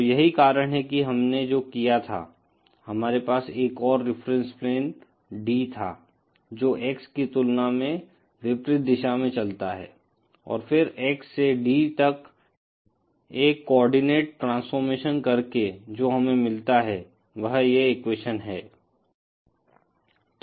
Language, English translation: Hindi, So, that is why what we did was we had another reference plane D which moves in the opposite direction as compared to X and then by doing a coordinate transformation from X to D, what we get is this equation